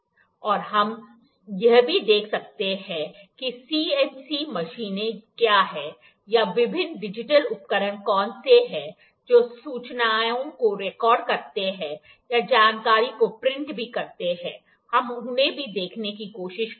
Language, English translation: Hindi, And we can also see the, what are the CNC machines or what are the various digital instruments that record the information even print the information, we will try to see them as well